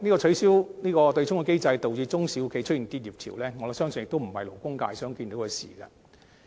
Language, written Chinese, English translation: Cantonese, 取消對沖機制導致中小企的結業潮，我相信亦非勞工界想看見的事。, I do not believe the labour sector will wish to see a wave of business closure among SMEs resulting from the abolition of the offsetting mechanism